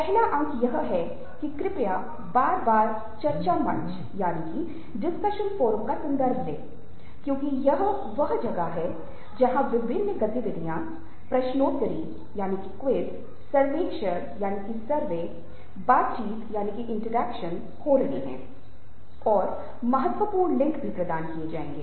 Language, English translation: Hindi, the first point is that, ah, please refer to the discussion forum again and again, because that is where the various activities, the quizzes, the surveys, the interactions will be taking place and the vital links for those will be also provided there